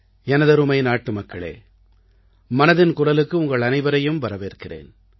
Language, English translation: Tamil, My dear countrymen, welcome to 'Mann Ki Baat'